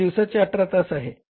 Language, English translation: Marathi, It is for 18 hours a day